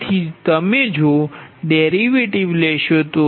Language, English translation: Gujarati, so taking the derivative of that